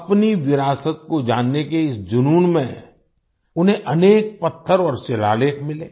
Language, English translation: Hindi, In his passion to know his heritage, he found many stones and inscriptions